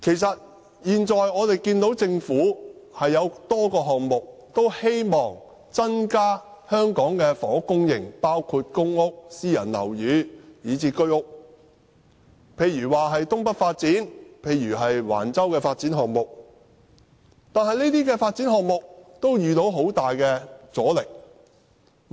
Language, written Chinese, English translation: Cantonese, 政府現時進行多個項目，希望增加房屋供應，包括公屋、私人樓宇及居屋，例如新界東北發展計劃和橫洲發展項目，但這些發展項目都遇到很大阻力。, The Government is currently taking forward a number of projects to increase housing supply including PRH units private housing and HOS flats . Projects such as North East New Territories New Development Areas and Wang Chau development have met strong resistance